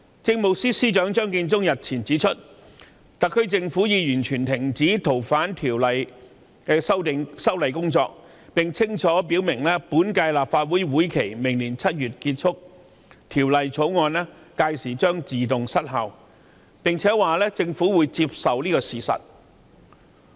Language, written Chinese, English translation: Cantonese, 政務司司長張建宗日前指出，特區政府已經完全停止《逃犯條例》的修例工作，並且清楚表明，隨着本屆立法會任期於明年7月結束，《條例草案》屆時亦將自動失效，政府會接受這個事實。, A few days ago Chief Secretary for Administration Matthew CHEUNG stated that the SAR Government had already completely stopped the work to amend FOO . He also clarified that the Bill would lapse automatically upon the expiry of the current term of the Legislative Council in July next year and the Government would accept that